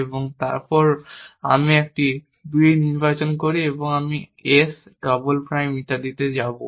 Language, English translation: Bengali, I go to some explain and then I choose a 2 and I will go to s double prime and so on